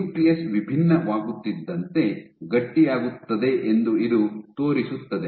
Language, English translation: Kannada, So, this demonstrates that the nucleus stiffens as it differentiates